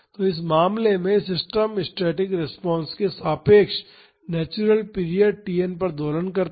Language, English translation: Hindi, So, in this case the system oscillates at the natural period Tn about the static response position